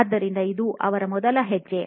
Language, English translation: Kannada, So, this is the first step that they do